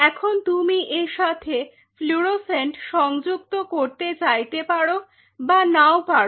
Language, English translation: Bengali, Now whether you wanted to have a fluorescent attachment with it not